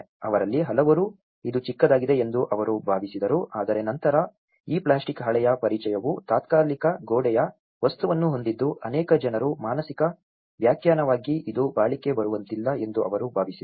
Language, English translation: Kannada, Many of them, they felt it was small but then, the introduction of this plastic sheeting has a temporary wall material that many people as a psychological interpretation, they felt it is not durable